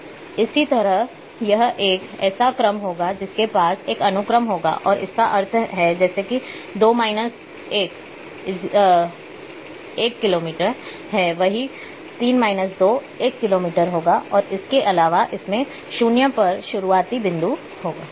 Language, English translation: Hindi, So, likewise it will have a order it is having a sequence plus it is having a meaning like 2 minus 1 is 1 kilometer same would be the three minus 2 equal to one kilometer and in addition it will have a starting point at 0